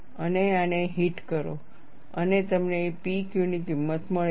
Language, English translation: Gujarati, It hits this and you get the value of P Q